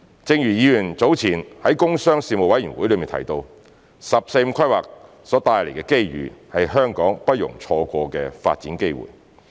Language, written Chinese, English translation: Cantonese, 正如議員早前在工商事務委員會中提到，"十四五"規劃所帶來的機遇是香港不容錯過的發展機會。, Just as Members said earlier at the meeting of the Panel on Commerce and Industry the opportunities presented by the National 14th Five - Year Plan are development opportunities that Hong Kong cannot afford to miss